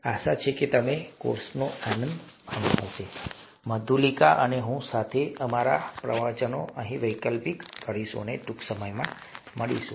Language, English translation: Gujarati, Hope you enjoy the course, with Madhulika and I, we will alternate our lectures here, and see you soon